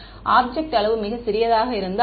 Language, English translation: Tamil, If the object size is very small